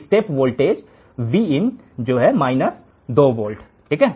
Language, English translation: Hindi, A step voltage Vin here is minus 2 volts